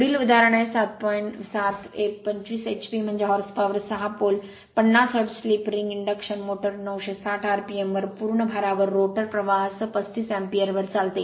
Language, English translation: Marathi, Next is example 7, a 25 h p, that is horse power 6 pole, 50 hertz, slip ring induction motor runs at 960 rpm on full load with a rotor current at 35 amp of 35 ampere